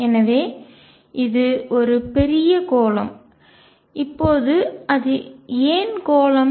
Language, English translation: Tamil, So, this is a huge sphere, now why is it is sphere